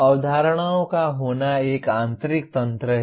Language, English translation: Hindi, Having the concepts is an internal mechanism